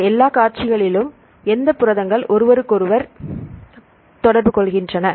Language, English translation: Tamil, So, in all these sequences, then which proteins interact with each other